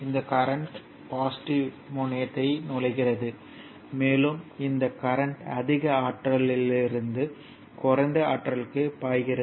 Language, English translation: Tamil, And it is your current is flow entering into the positive terminal, right that is flowing from higher potential to lower potential